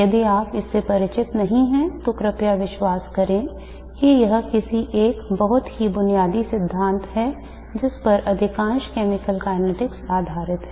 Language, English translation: Hindi, If you are not familiar with it please believe that it is a very basic principle on which much of the chemical kinetics rest on